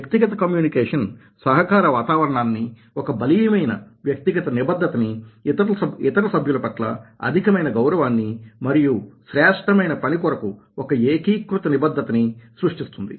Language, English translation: Telugu, personal communication transacts a collaborative climate, a strong personal commitment, high regard for other team members and the unified commitment to excellence